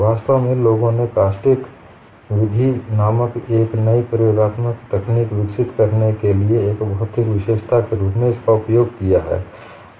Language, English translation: Hindi, In fact, people have utilized this as a physical feature to develop a new experimental technical called method of caustics